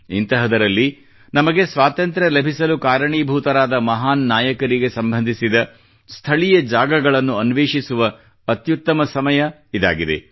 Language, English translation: Kannada, In this context, this is an excellent time to explore places associated with those heroes on account of whom we attained Freedom